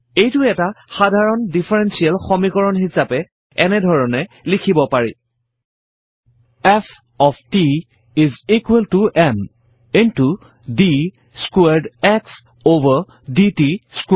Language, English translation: Assamese, This can be written as an ordinary differential equation as:F of t is equal to m into d squared x over d t squared